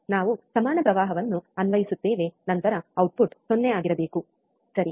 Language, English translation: Kannada, wWe are we apply equal current then output should be 0, right